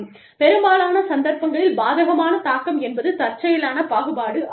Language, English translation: Tamil, Adverse impact, in most cases is, unintentional discrimination